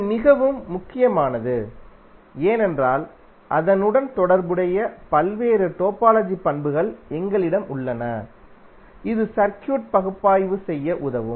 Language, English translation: Tamil, So this is very important because we have various topological properties associated with it which will help us to analyze the circuit